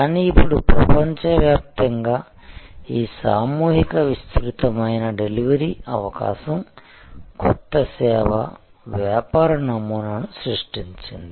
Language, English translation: Telugu, But, now this mass extensive delivery possibility across the globe has created new service business models